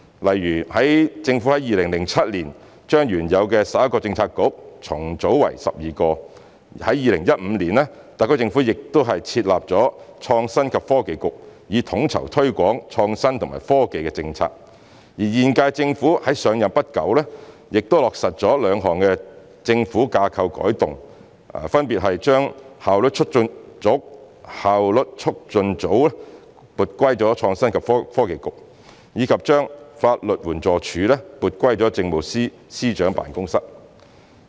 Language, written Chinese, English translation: Cantonese, 例如，政府在2007年將原有的11個政策局重組為12個；在2015年，特區政府又設立創新及科技局，以統籌推廣創新及科技的政策；而在現屆政府上任不久，也落實了兩項政府架構改動，分別是把當時的效率促進組撥歸創新及科技局，以及把法律援助署撥歸政務司司長辦公室。, For example the originally 11 bureaux were reorganized into 12 in 2007; the SAR Government established the Innovation and Technology Bureau in 2015 to coordinate the promotion of innovation and technology policies; and shortly after the assumption of office the current - term Government has already completed two organizational changes by transferring the then Efficiency Unit to the Innovation and Technology Bureau and the Legal Aid Department to the Chief Secretary for Administrations Office